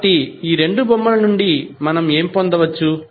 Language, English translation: Telugu, So, what we can get from these two figures